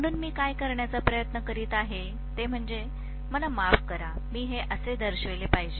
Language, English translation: Marathi, So what I am trying to do is, I am sorry, I should have shown this like this